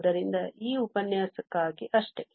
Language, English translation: Kannada, So, that is all for, for this lecture